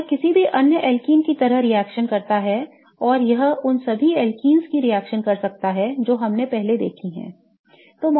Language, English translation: Hindi, It reacts like any other alken and it can do all the reactions of alkenes that we have seen before